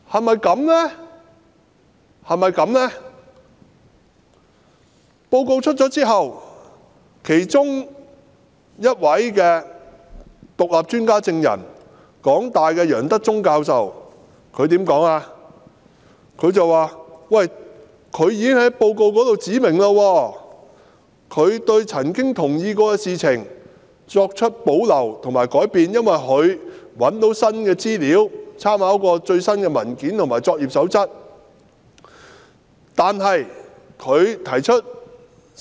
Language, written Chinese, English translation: Cantonese, 報告公布後，其中一位獨立專家證人香港大學的楊德忠教授表示，他已經在報告中指明，對曾經認同的事項提出保留或更改，因為他找到新的資料和參考了最新的文件及作業守則。, After the report was published one of the independent expert witnesses Prof Albert YEUNG of the University of Hong Kong said that he had already stated in the report that he had put forward his reservations about or amendments to matters on which he had previously agreed because he has found new information and drawn reference from the latest documents and codes of practice